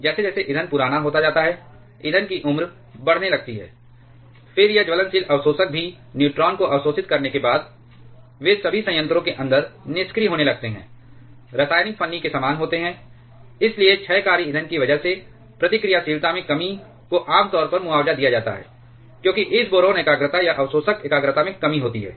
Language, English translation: Hindi, As the fuel becomes older, fuel starts to age, then this burnable absorbers also the after absorbing neutrons they also keeps on becoming inactive inside the reactor quite similar to chemical shims therefore, the reduction in reactivity because of the decaying fuel generally gets compensated, because of the reduction in this boron concentration or this absorber concentration